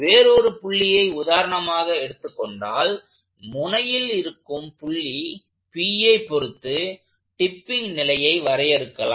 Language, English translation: Tamil, If you choose any other point for example, if I choose the point p which is this corner to define the tipping condition